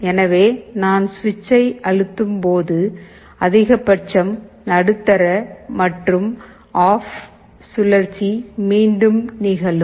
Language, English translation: Tamil, So, when I go on pressing the switch, maximum, medium, off, this cycle will repeat